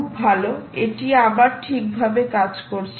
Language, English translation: Bengali, fantastic, it works alright